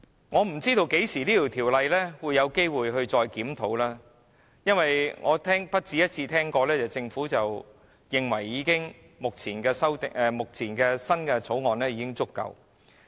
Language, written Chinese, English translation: Cantonese, 我不知道《僱傭條例》何時再作檢討，因為我不只一次聽到政府認為目前的《條例草案》已經足夠。, I am not sure when another review of the Employment Ordinance will be conducted for I have more than once heard that the Government considers the current Bill sufficient